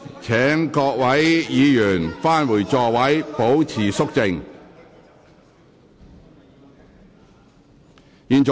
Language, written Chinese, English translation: Cantonese, 請各位議員返回座位，保持肅靜。, Will Members please return to their seats and keep quiet